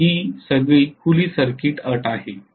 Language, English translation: Marathi, Then it is all open circuit condition